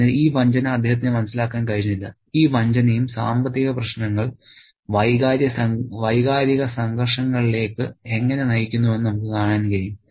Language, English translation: Malayalam, So, he cannot understand this betrayal, this treachery and we can see how financial troubles lead to emotional conflicts